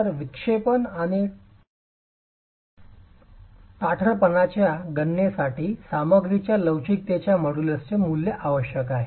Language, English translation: Marathi, So, deflections and the stiffness calculations would require a value of the models of the elasticity of the material